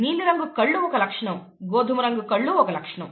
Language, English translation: Telugu, Blue colored eyes is a trait, brown colored eyes is another trait, and so on